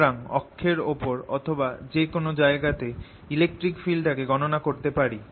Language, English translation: Bengali, so i calculate the electric field here on the axis or anywhere e r t is going to be